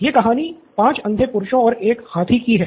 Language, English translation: Hindi, This time it’s a story of 5 blind men and the elephant